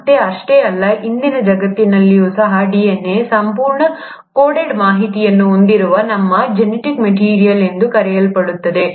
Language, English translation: Kannada, And not just that, even in today’s world, where DNA, the so called our genetic material which has the entire coded information